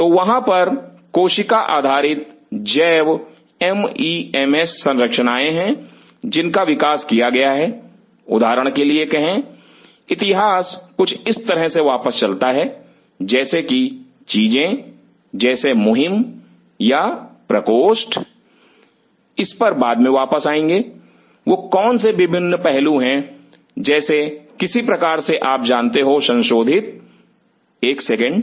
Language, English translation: Hindi, So, there are cell based bio mems structures which are being developed for say for example, history goes back to like things like campaign or chambers will come later, what are those different aspects are something like you know modified, one second